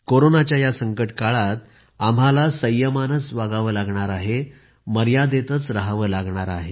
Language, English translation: Marathi, during this crisisladen period of Corona, we have to exercise patience, observe restraint